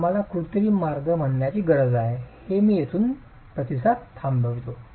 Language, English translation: Marathi, So we need an artificial way of saying, okay, this is where I stop the response